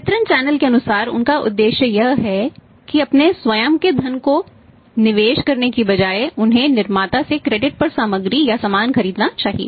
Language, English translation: Hindi, As per the distribution channel is concerned their objective is that rather than investing their own funds they should buy the materials are the goods on credit from the manufacturer